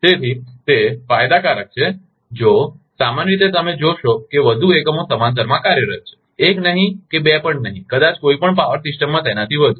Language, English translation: Gujarati, So, that is advantageous if more you in general you will find more units are operating in parallel, not one maybe not two,, maybe more than that in any power system